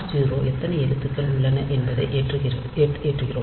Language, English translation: Tamil, And r 0 we are loading how many characters are there